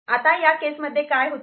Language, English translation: Marathi, In this case, what is happening